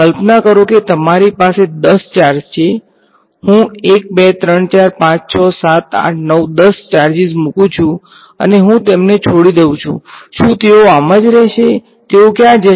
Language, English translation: Gujarati, Imagine you have let us say 10 charges, I put 1 2 3 4 5 6 7 8 9 10 charges and I leave them, will they stay like that, what will where will they go